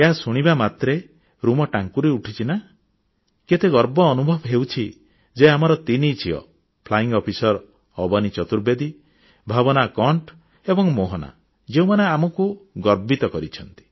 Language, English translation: Odia, You get goose pimples just at the mention of 'women fighter pilots'; we feel so proud that these three Flying Officer daughters of ours Avni Chaturvedi, Bhawna Kanth and Mohana, have achieved this great feat